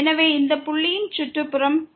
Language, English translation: Tamil, So, this is the neighborhood of this point P